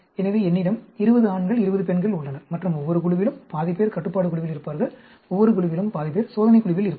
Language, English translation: Tamil, So, I have 20 males, 20 females and half of them in each group will be controlled, half of them in each group will be the test